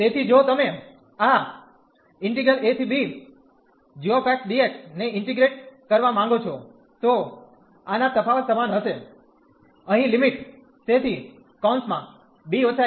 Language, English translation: Gujarati, So, if you want to integrate this a to b g x dx, this will be equal to this difference here of the limit so b minus a